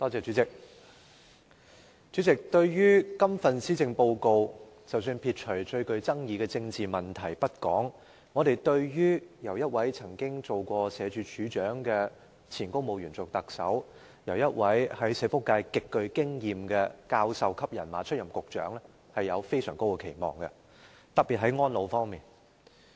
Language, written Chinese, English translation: Cantonese, 主席，對於這份施政報告，撇除最具爭議的政治問題不談，我們對於由一位曾任社會福利署署長的前公務員出任特首，以及由一位在社福界極具經驗的教授級人馬出任局長，抱有非常高的期望，特別在安老方面。, President putting aside the most controversial political issues given that the Chief Executive is a former civil servant having served as the Director of Social Welfare and the Secretary is a professor richly experienced in the social welfare sector we have very high expectations on this Policy Address particularly in respect of elderly care